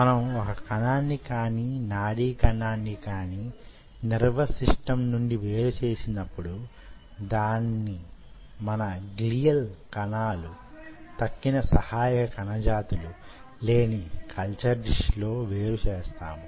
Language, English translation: Telugu, when we remove a cell or we remove a neuron from the nervous system, we are dividing it in a culture dish without the glial cells and other supporting cell types